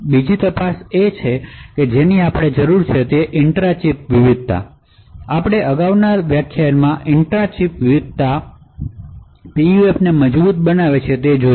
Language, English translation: Gujarati, Another check which we also require was the intra chip variation, so as we mentioned in the previous lecture the intra chip variation shows the reproducibility or the robustness of a PUF